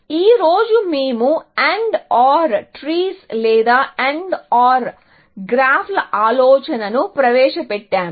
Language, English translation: Telugu, Today, we have just introduced the idea of AND OR trees or AND OR graphs